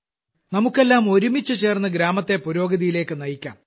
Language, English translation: Malayalam, Now we all have to do the development of the village together